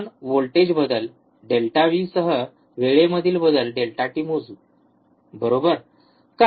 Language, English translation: Marathi, We will measure the voltage change delta V with respect to delta t, right, why